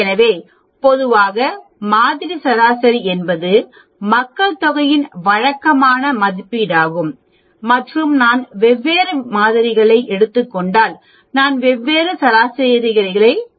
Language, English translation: Tamil, So generally, the sample mean is a usual estimator of the population mean and if I take different samples I will get a large number of means which will have its own mean